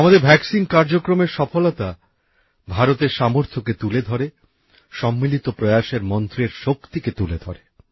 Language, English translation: Bengali, The success of our vaccine programme displays the capability of India…manifests the might of our collective endeavour